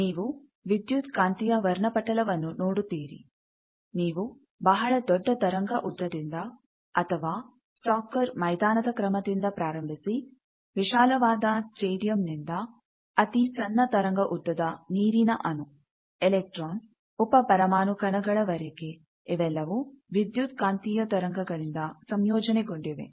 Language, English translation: Kannada, You see the electromagnetic spectrum; you see starting from very large wave lengths or the order of a large soccer field, a large stadium to very small wave lengths like a water molecule, an electron, a sub atomic particle all these are composed of electromagnetic waves